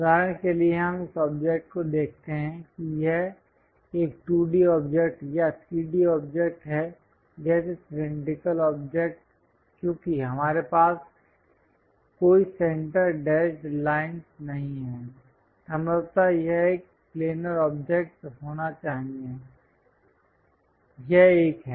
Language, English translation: Hindi, For example, let us look at this object is it a 2d object or 3d object like cylindrical object because we do not have any center dashed lines, possibly it must be a planar object this is the one